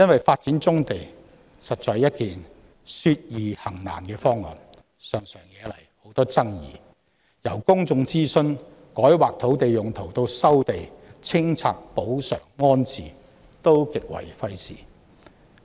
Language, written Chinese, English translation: Cantonese, 發展棕地實在說易行難，常常惹來很多爭議，由公眾諮詢、改劃土地用途至收地、清拆、賠償、安置等各個程度均極為費時。, Development of brownfield sites is indeed easier said than done often sparking off considerable controversies . Various procedures ranging from public consultation rezoning of land use land resumption clearance compensation to rehousing are rather time - consuming